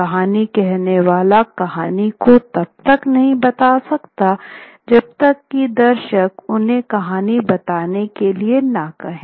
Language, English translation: Hindi, The storyteller cannot tell the story unless the audience asks them to tell the story